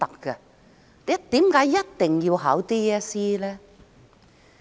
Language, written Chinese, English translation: Cantonese, 為何學生一定要考 DSE？, Why must students sit for DSE?